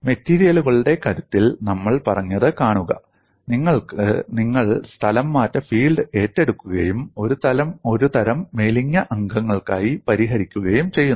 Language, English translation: Malayalam, See we said in strength of materials, you assume the displacement field and solve it for a class of slender members